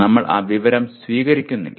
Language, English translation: Malayalam, We do not receive that information